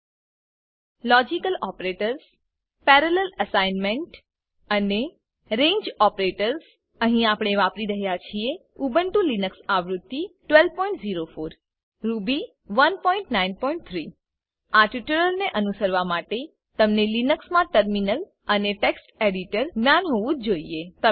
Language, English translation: Gujarati, In this tutorial we will learn Logical Operators Parallel assignment and Range Operators Here we are using Ubuntu Linux version 12.04 Ruby 1.9.3 To follow this tutorial you must know how to use Terminal and Text editor in Linux